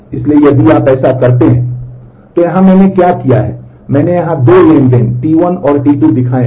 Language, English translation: Hindi, So, if you so, here what I have done is I have shown here the 2 transactions T 1 and T 2